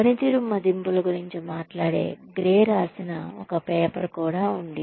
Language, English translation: Telugu, There is a paper by Gray, that talks about performance appraisals